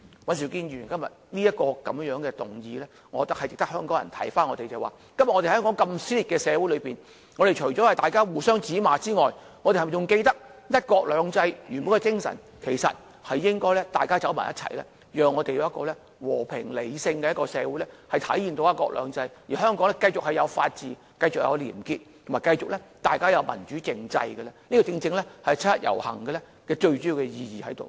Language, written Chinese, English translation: Cantonese, 尹兆堅議員今天提出的議案，值得香港人思考現時香港社會如此撕裂，大家在互相指罵之餘，是否還記得"一國兩制"原本的精神是要大家走在一起，建立和平、理性的社會，體現"一國兩制"，並讓香港繼續有法治、廉潔、民主政制，而這才是七一遊行最重要的意義。, The motion moved by Mr Andrew WAN today is worth considering by Hong Kong people . When the community is so divided and people are pointing their fingers at one another do we still remember that the original spirit of one country two systems? . The spirit is to pull us together to build a peaceful and rational society to manifest one country two systems and enable Hong Kong to continue to operate under a democratic political system where the rule of law and probity prevail